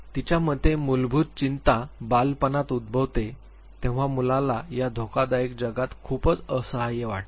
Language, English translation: Marathi, According to her basic anxiety arises in childhood when the child feels very, very helpless in this threatening world